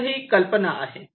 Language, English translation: Marathi, ok, so this the idea